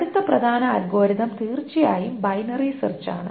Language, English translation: Malayalam, The next important algorithm of course is a binary search